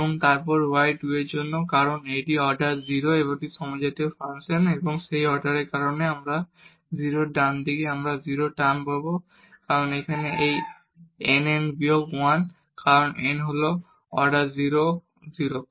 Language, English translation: Bengali, And, then for u 2 because that is also a homogeneous function of order 0 and because of that order 0 here right hand side we will get 0 term because here its n n minus 1 and because n is 0 the order is 0